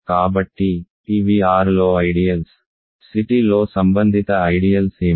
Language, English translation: Telugu, So, these are ideals in R what are the corresponding ideals in C t